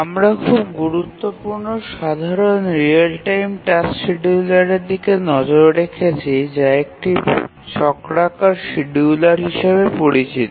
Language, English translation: Bengali, So, so far we have been looking at the one of the very important but simple real time task scheduler known as the cyclic scheduler